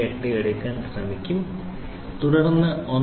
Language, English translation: Malayalam, 578 and then I subtract 1